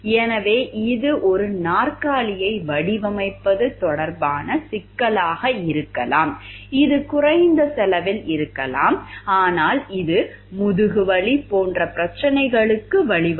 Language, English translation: Tamil, So, it may be the issue may be to design a chair, which may be at a low cost, but which in terms may lead to like backache problems